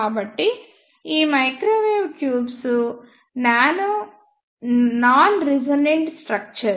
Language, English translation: Telugu, So, these microwave tubes are non resonant structures